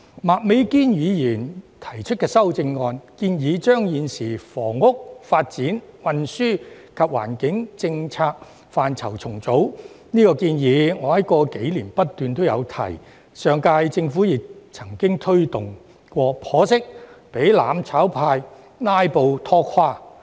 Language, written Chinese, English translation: Cantonese, 麥美娟議員提出的修正案，建議重組現時房屋、發展、運輸及環境的政策範疇，我在過去數年也不斷提出這項建議，上屆政府亦曾經推動過，但可惜被"攬炒派""拉布"拖垮。, Ms Alice MAKs amendment suggests reorganizing the existing policy portfolios in respect of housing development transport and environment . During the past few years I have been putting forward this proposal and it had also been floated by the last Government . But it is unfortunate that the proposal fell through as a result of filibusters by the mutual destruction camp